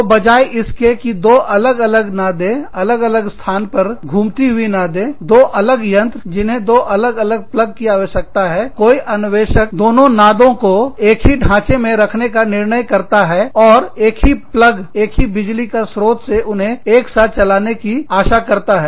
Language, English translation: Hindi, So, instead of having two drums, rotating drums, in different places, two separate machines, that required two separate plugs, somebody, some innovator, decided to put, both the drums in the same frame, and have a same, have one plug, have one power source, hope to run both of these, together